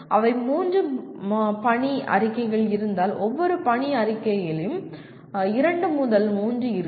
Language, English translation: Tamil, They could be, if there are three mission statements each mission statement has two to three